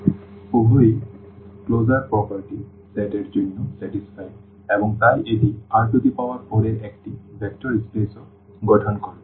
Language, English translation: Bengali, So, the both the closure properties are satisfied for the set and hence this will also form a vector space of R 4